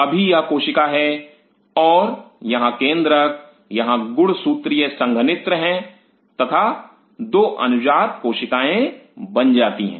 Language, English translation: Hindi, This is the cell now and here the nucleus it is chromatic condensers and the 2 daughter cells are formed